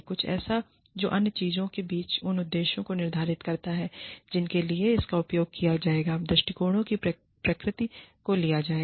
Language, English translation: Hindi, Something, that among other things, sets out the purposes for which it will be used, and the nature of approach to be taken